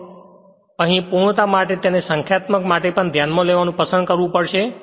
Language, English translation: Gujarati, But here for the sake of completeness we have to choose to we have to consider it for numerical also